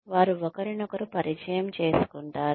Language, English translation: Telugu, They become familiar with each other